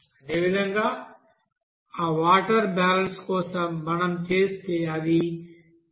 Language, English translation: Telugu, Similarly for you know that water balance if we do it will be coming 0